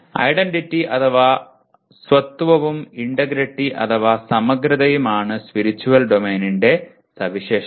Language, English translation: Malayalam, Spiritual Domain is characterized by identity and integrity